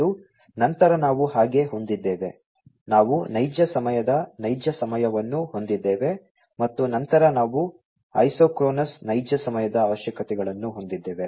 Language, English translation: Kannada, And, then we have so, we have the non real time real time, and then we have the isochronous real time requirements